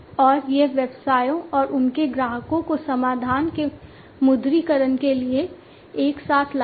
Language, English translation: Hindi, And it brings together the businesses and their customers to monetize the solutions